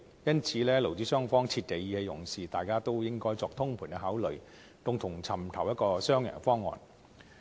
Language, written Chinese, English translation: Cantonese, 因此，勞資雙方切忌意氣用事，大家應該作通盤考慮，共同尋找一個雙贏方案。, Therefore employers and employees should make holistic considerations so as to find a win - win solution and refrain from acting impulsively